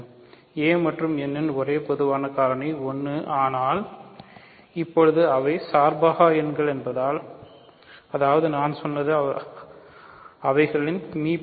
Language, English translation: Tamil, So, that is the only common factor of a and n is 1 ok, but now since they are co prime; that means, what I am saying is that their gcd is 1